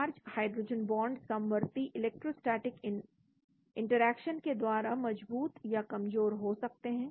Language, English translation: Hindi, Charge, hydrogen bond may be strengthened or weakened by concurrent electrostatic interaction